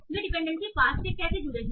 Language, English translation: Hindi, So how are they connected in the dependency pass